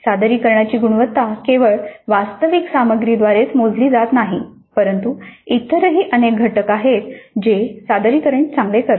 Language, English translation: Marathi, Now a presentation is measured not only the quality of presentation is measured not only by the actual content but there are several other factors which go to make the presentation a good one